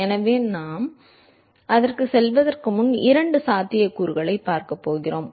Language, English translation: Tamil, So, before we going to that, we going to look at two possibilities